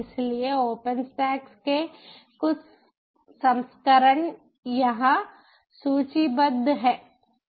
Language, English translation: Hindi, so some of the versions of the open stacks are ah a listed here